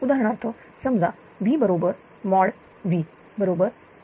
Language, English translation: Marathi, For example, suppose if V is equal to that mod V is equal to 1